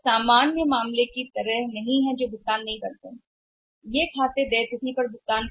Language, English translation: Hindi, They do not default normal the normal case they do not default they make the payment on the due date